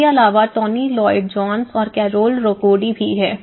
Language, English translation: Hindi, Apart from this, Tony Lloyd Jones and Carole Rakodi